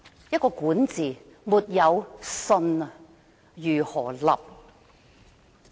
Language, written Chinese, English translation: Cantonese, 如果管治沒有"信"，則如何"立"？, If an administration is not trustworthy how can it survive?